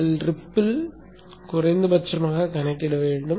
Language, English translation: Tamil, You should also calculate for the ripple that is minimum